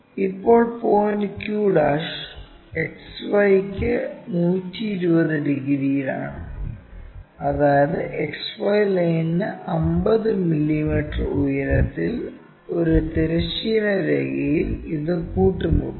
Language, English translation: Malayalam, Now, from point q' 120 degrees to XY such that it meets a horizontal line at 50 mm above XY line